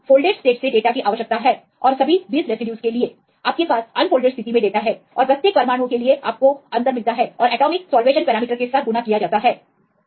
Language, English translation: Hindi, So, we need the data from the folded states and for all the 20 residues, you have the data in the unfolded state and for each atom type you get the difference and multiplied with the atomic salvation parameters